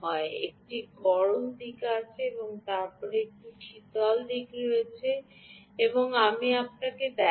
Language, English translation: Bengali, there is a hot side and then there is a cold side